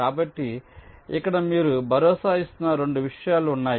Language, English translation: Telugu, so there are two things that you are just ensuring here